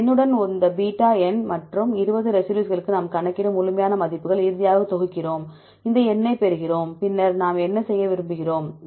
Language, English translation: Tamil, With this number, this beta number, and for 20 residues we calculate and sum up the absolute values finally, we get this number, then what we want to do